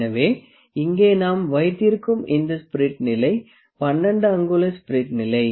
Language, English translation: Tamil, So, this spirit level that we have here is a 12 inch spirit level